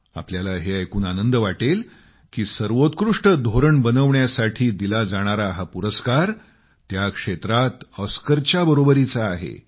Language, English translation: Marathi, You will be delighted to know that this best policy making award is equivalent to an Oscar in the sector